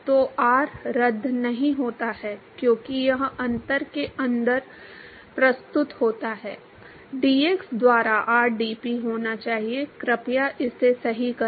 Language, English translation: Hindi, So, r does not cancel out because, it is presents inside the differential, should be rdp by dx please correct it